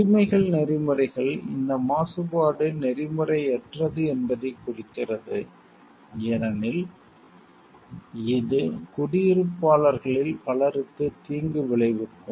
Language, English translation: Tamil, The right ethics indicates that this pollution is unethical since it causes harm to many of the residents